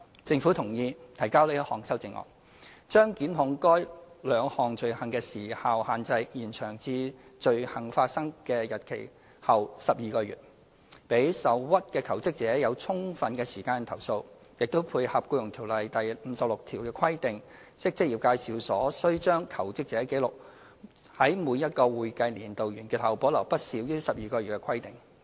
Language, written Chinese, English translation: Cantonese, 政府同意提交這項修正案，將檢控該兩項罪行的時效限制延長至罪行發生的日期後12個月，讓受屈的求職者有充分時間投訴，亦配合《僱傭條例》第56條的規定，即職業介紹所須將求職者紀錄，在每個會計年度完結後保留不少於12個月的規定。, The Government agreed to submit this amendment proposing an extension of time limit for prosecuting the two aforementioned offences to within 12 months after the date of the commission of the offence . It will allow aggrieved jobseekers sufficient time to file complaints while tying in with the requirement under section 56 of EO that employment agencies have to retain records of job applicants for a period of not less than 12 months after the expiry of each accounting year